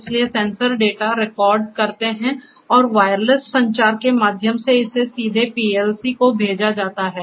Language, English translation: Hindi, So, the sensors that record the data and through wireless communication it could be directly sent to the PLC